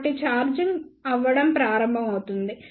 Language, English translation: Telugu, So, it will start charging